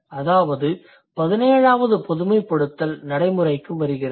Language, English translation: Tamil, That is how the 17th generalization comes into existence